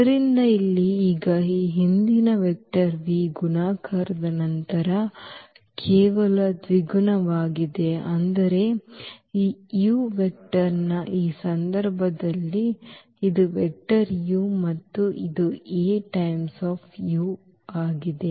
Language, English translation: Kannada, So, here now it is just the double of this earlier vector v after the multiplication, but in this case of this u vector this was the vector u and this A times u has become this one